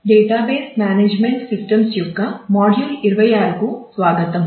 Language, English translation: Telugu, Welcome to module 26 of Database Management Systems